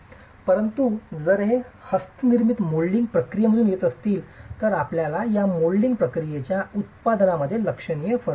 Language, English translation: Marathi, But if these are coming from handmade molding processes, you will have significant differences between the products of this molding process itself